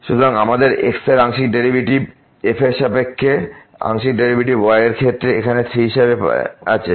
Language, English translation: Bengali, So, we have the partial derivative with respect to as to partial derivative of with respect to here as 3